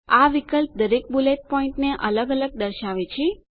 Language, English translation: Gujarati, This choice displays each bullet point separately